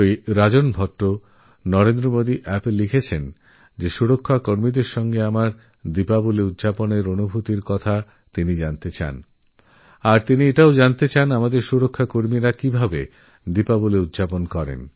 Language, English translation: Bengali, Shriman Rajan Bhatt has written on NarendramodiApp that he wants to know about my experience of celebrating Diwali with security forces and he also wants to know how the security forces celebrate Diwali